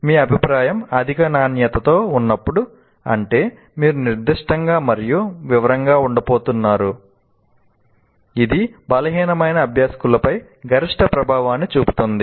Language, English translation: Telugu, And when your feedback is of high quality that you are going to be very specific, very detailed, it has maximum impact on the weakest learners